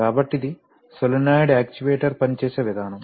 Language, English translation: Telugu, So this is the way our solenoid actuator will work